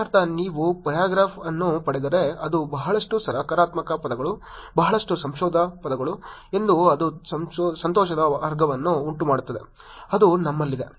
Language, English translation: Kannada, Which means if you get a paragraph which as a lot of positive words, lot of happy words it will produce a category as happy which will be what we have